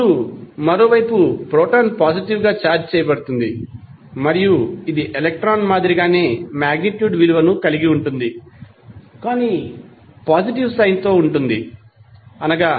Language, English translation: Telugu, Now, proton is on the other hand positively charged and it will have the same magnitude as of electron but that is plus sign with 1